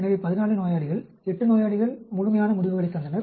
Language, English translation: Tamil, So, 14 patients, 8 patients were given complete responses